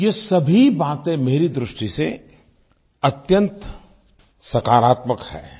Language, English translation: Hindi, According to me all of these things are extremely positive steps